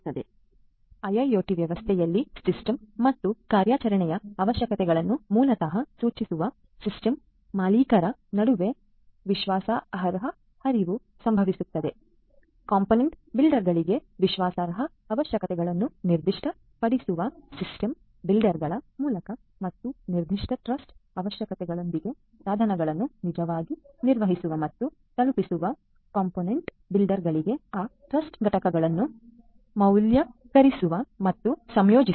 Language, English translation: Kannada, So, in IIoT system, trust flow happens between the system owner who basically specify the system and operational requirements; through the system builders who specify the trust requirements and test trust requirements for the component builders and validate and integrate those trust components to the component builders who actually build and deliver the devices with the specified trust requirements